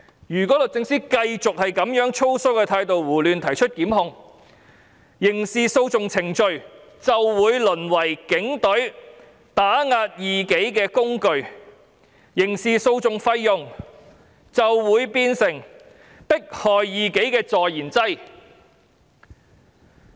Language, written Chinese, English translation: Cantonese, 如果律政司繼續以粗疏的態度胡亂提出檢控，刑事訴訟程序便會淪為警隊打壓異己的工具，刑事訴訟費用便會變成迫害異己的助燃劑。, If the Department of Justice continues to initiate prosecutions arbitrarily in a sloppy manner the mechanism for criminal proceedings will degenerate into a tool of the Police Force to suppress dissidents and the costs of criminal proceedings will become the fuel to persecute dissidents